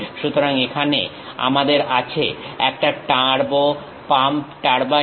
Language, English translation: Bengali, So, here we have a turbo pump turbine